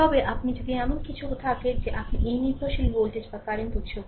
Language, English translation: Bengali, But, if you have a your what you call that dependent voltage or current sources right